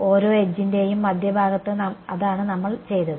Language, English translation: Malayalam, At the center of each edge that is what we are done